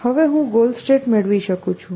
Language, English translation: Gujarati, So, I can now have goal state